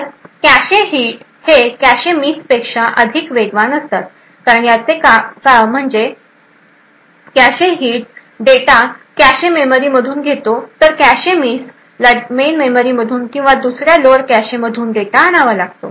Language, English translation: Marathi, So a cache hit is considerably faster than a cache miss and the reason being that the cache hit fetches data straight from the cache memory while a cache miss would have to fetch data from the main memory or any other lower cache that may be present